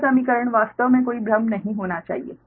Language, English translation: Hindi, this equation actually there should not be any confusion, right